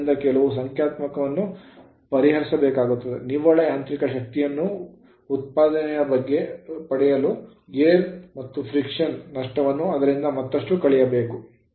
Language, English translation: Kannada, So, few numerical I will show you; for getting net mechanical power output the windage and friction loss must be further subtracted from it